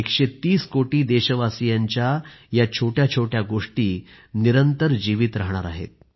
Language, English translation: Marathi, These minute stories encompassing a 130 crore countrymen will always stay alive